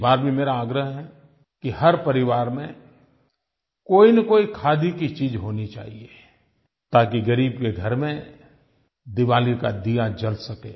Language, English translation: Hindi, This year also I request that each family should buy one or the other khadi item so that the poor may also be able to light an earthen lamp and celebrate Diwali